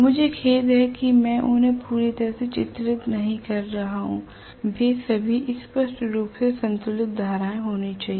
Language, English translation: Hindi, I am sorry am not drawing them equally well they should all be balanced currents obviously okay